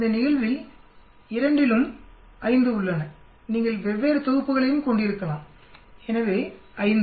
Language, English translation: Tamil, in this case both the you have 5, you can have different sets also so 5